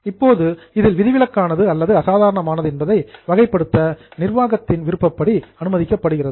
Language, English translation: Tamil, Now the discretion is given to management to categorize is that either exceptional or extraordinary